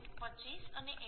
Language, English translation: Gujarati, 55 and 0